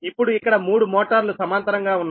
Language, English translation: Telugu, now here three motors are connected in parallel